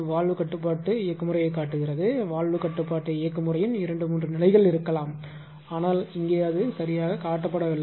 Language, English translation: Tamil, So, valve control mechanism there may be maybe 2 3 stages of valve control mechanism will be there, but here it is here it is not shown right it will take the simple thing